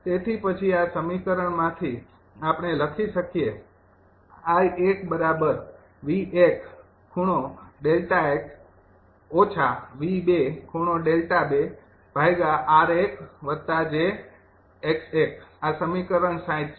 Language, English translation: Gujarati, so then from this equation we can write: i one is equal to